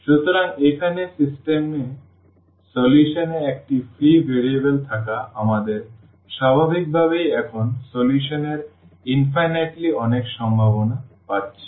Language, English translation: Bengali, So, this having a free variable in the solution in the system here we are naturally getting infinitely many possibilities of the solution now